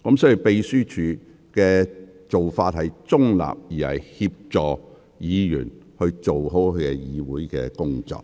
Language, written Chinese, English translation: Cantonese, 所以，秘書處是中立地協助議員做好議會工作。, Therefore the Secretariat remains neutral when assisting Members to perform their jobs in the Council